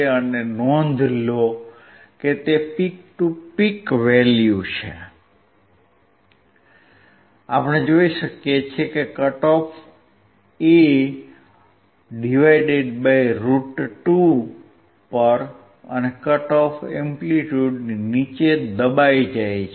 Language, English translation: Gujarati, And note down it is peak to peak value, we can observe that at a frequency cut off (A / √2), and below the cut off amplitude is suppressed